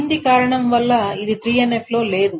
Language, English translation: Telugu, This is not in 3NF